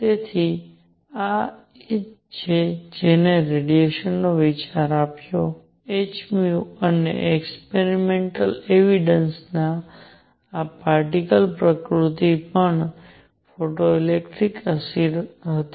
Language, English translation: Gujarati, So, this is this is what what gave the idea of radiation; also having this particle nature of h nu and experimental evidence was photoelectric effect